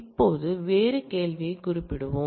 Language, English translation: Tamil, Now, let us address a different question